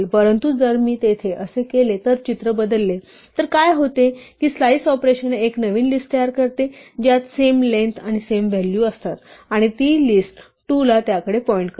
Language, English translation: Marathi, But if I do there have this then the picture changes then what happens is that the slice operation produces a new list which has exactly the same length and the same values and it makes list2 point to that